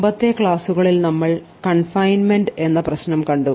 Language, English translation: Malayalam, So, in the previous couple of lectures we had looked at a problem of confinement